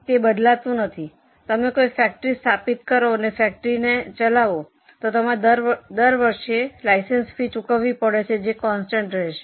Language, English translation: Gujarati, If we want to establish factory and keep it running, you have to pay license fee every year